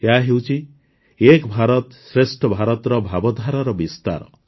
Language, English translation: Odia, This is the extension of the spirit of 'Ek BharatShreshtha Bharat'